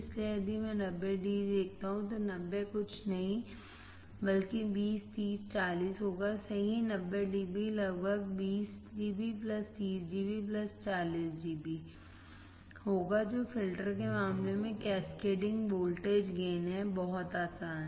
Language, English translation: Hindi, So, if I see 90 dB that means, the 90 would be nothing but 20, 30 and 40 correct, 90 db would be about 20 dB plus 30 dB plus 40 dB very easy cascading voltage gain in case of the filters in case of the filters